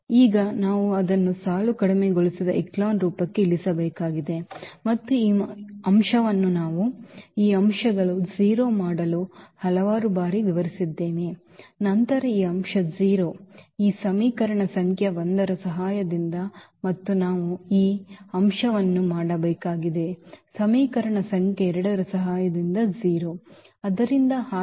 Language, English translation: Kannada, Now we need to reduce it to the row reduced echelon form and that idea is also we have explained several times we need to make this elements 0, then this element 0 with the help of this equation number 1 and then we need to make this element 0 with the help of the equation number 2